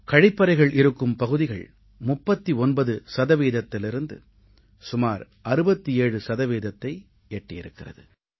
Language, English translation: Tamil, Toilets have increased from 39% to almost 67% of the population